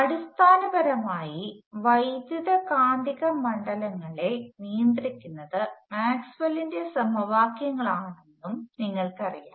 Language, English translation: Malayalam, Now, all of you will know some basics of electromagnetic you know that basically the electromagnetic fields are governed by Maxwell’s equations